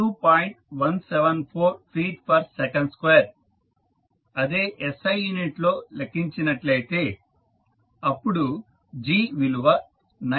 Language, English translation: Telugu, 174 feet per second square or in SI unit if you are calculating g will be 9